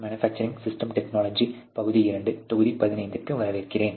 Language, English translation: Tamil, Hello and welcome to the manufacturing systems technology part 2 module 15